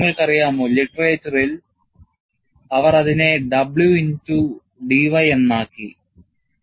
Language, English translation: Malayalam, You know, in the literature, they put it as W into d y